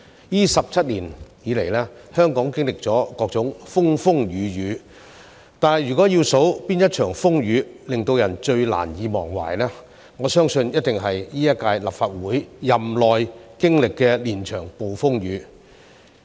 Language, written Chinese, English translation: Cantonese, 這17年以來，香港經歷了各種風風雨雨，但如果要數哪一場風雨最令人難以忘懷，我相信一定是今屆立法會任期內經歷的連場暴風雨。, Over the past 17 years Hong Kong has experienced all kinds of storms but if I have to point out the most memorable one I believe it would be the series of storms that we have experienced during the current term of the Legislative Council